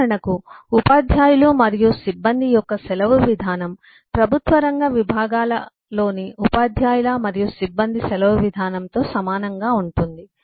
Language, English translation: Telugu, for example, the leave policy of teachers and staff will be lot similar to the leave policy of teacher and staff in the public sector units, psus